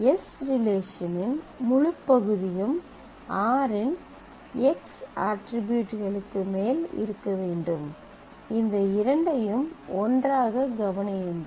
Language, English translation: Tamil, So, if I can say it again the whole of the relation s must happen over the x attributes of r, consider these two together